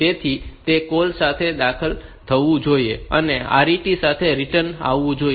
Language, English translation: Gujarati, So, it should be entered via a CALL and return via a RET